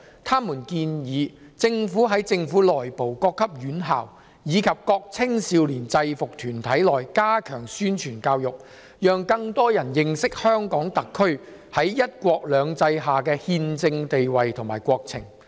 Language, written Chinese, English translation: Cantonese, 他們建議政府在政府內部、各級院校，以及各青少年制服團體內加強宣傳教育，讓更多人認識香港特區在"一國兩制"下的憲政地位和國情。, They suggest that the Government should step up publicity and education efforts within the Government and among education institutions at various levels and the various youth uniformed groups so that more people will understand the constitutional status of the Hong Kong SAR under the one country two systems as well as the national conditions